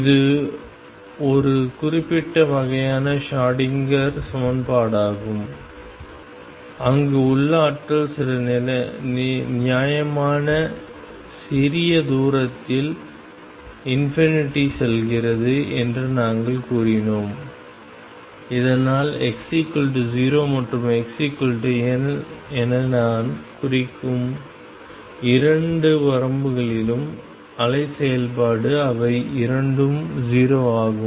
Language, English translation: Tamil, And this was a very specific kind of Schrodinger equation where we had said that the potential goes to infinity at some reasonable small distance L so that the wave function psi at the two edges which I denote as x equals 0 and x equals L they are both 0